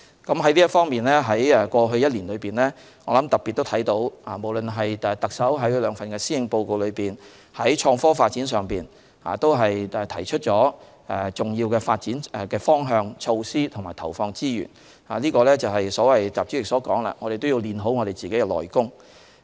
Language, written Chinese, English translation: Cantonese, 在這方面，過去1年可看到特首在其兩份施政報告內，在創科方面都特別提出重要的發展方向、措施並投放資源，這正配合習主席所說的我們要練好自己的"內功"。, On this front we see that last year the Chief Executive especially mentioned in her two Policy Addresses some important development directions measures and the injection of resources in the IT area . They are precisely in line with the statement of President Xi that we have to strengthen our inner capabilities